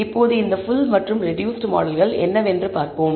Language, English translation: Tamil, Now, let us see what these full and reduced model are